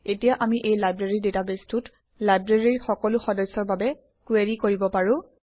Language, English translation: Assamese, Now we can query the Library database for all the members of the Library